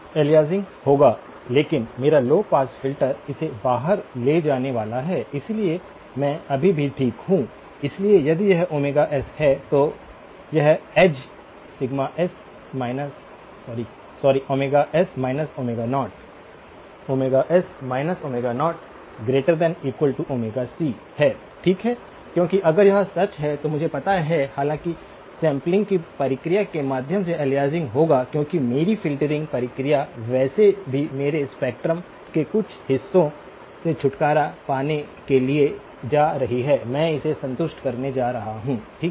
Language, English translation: Hindi, Aliasing will occur but my low pass filter is going to take it out so therefore, I am still okay, so if this is omega s, this edge is Omega s minus Omega naught, so Omega s minus Omega naught is going to be my band edge that has to be greater than or equal to Omega c, okay because if that is true then I know that though aliasing will occur through the process of sampling because my filtering process is going to anyway get rid of some portions of my spectrum, I am okay to satisfy this